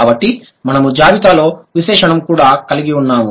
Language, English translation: Telugu, So, we also have the adjective in the list